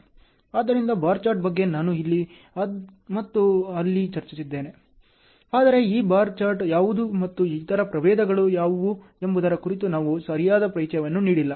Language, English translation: Kannada, So, bar chart now and then I have discussed here and there, but we have not given a proper introduction on to what is this bar chart and what are the other varieties as well